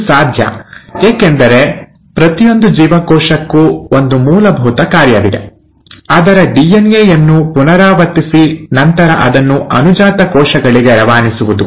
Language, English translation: Kannada, Now this is possible because every living cell has one basic function to do, and that is to replicate its DNA and then pass it on to the daughter cells